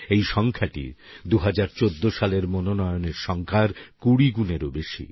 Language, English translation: Bengali, This number is more than 20 times the number of nominations received in 2014